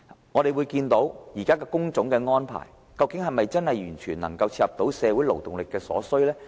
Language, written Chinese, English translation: Cantonese, 我們看到現時工種的安排，究竟是否真的完全切合社會勞動力所需？, Do we see the type of work assigned to inmates perfectly meeting the demand of productivity in society?